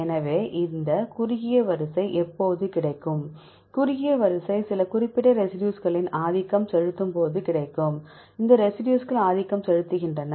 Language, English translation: Tamil, So, if you see this sequence is short sequence, when short sequence you will get the predominant of some specific residues, which residues are dominant